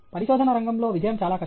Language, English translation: Telugu, Success in research is very difficult